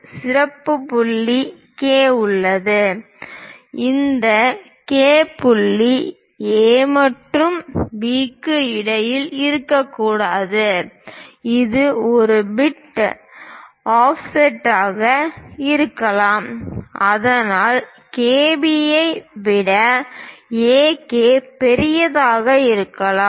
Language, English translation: Tamil, There is a special point K; this K point may not necessarily be at midway between A and B; it might be bit an offset; that means, AK might be larger than KB